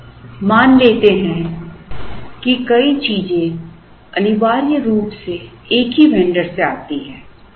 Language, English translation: Hindi, Now, let us assume that multiple items essentially come from the same vendor